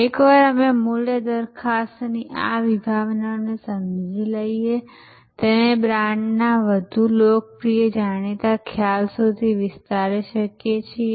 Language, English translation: Gujarati, Once we understand this concept of value proposition, we can extend that to the more popular well known concept of brand